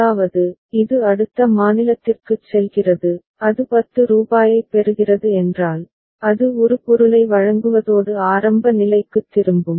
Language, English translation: Tamil, That means, it is going to next state that is c and if it is receiving rupees 10 ok, it will deliver a product and come back to the initial state ok